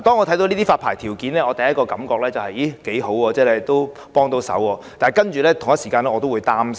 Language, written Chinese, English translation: Cantonese, 這些發牌條件給我的第一個感覺是似乎頗有效，可以幫得上忙，但我同時亦有點擔心。, My first perception of such licensing conditions is that they seem to be rather effective which may be helpful to us . But I am also a bit worried at the same time